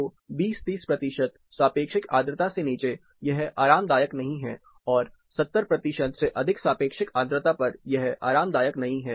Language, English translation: Hindi, So, below 20, below 30 percent relative humidity, it is not comfortable, and above 70 percent relative humidity, it is not comfortable